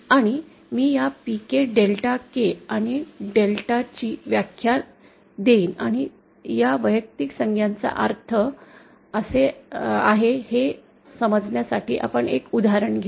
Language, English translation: Marathi, Now I will just give the definition of this PK, Delta K and delta and we will take an example to understand what these individual terms mean